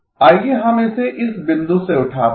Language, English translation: Hindi, Let us pick it up from this point